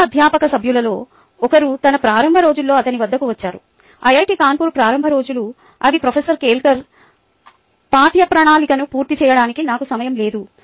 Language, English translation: Telugu, one of the young faculty members walked up to him in its early days, the early days of iit kanpur, and said: professor kelkar, i dont have time to cover the syllabus